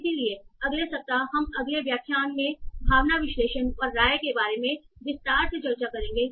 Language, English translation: Hindi, And then so next week we will discuss in detail about the sentiment analysis and opinion in the next section